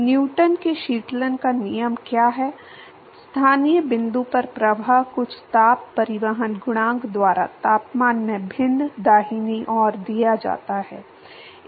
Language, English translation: Hindi, What is Newton law of cooling, at the local point the flux is given by some heat transport coefficient into the temperature different right